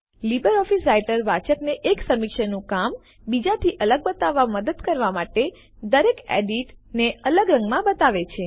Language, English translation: Gujarati, LO Writer will show each edit in a different colour to help the reader distinguish one reviewers work from another